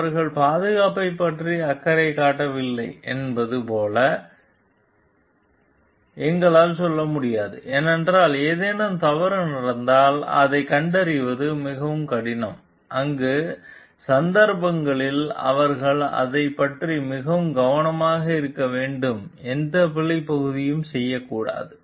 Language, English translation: Tamil, And we cannot tell like they are not concerned about the safety, because if something goes wrong it is very hard to detect it in that cases they should be more careful about it off to not to do any error part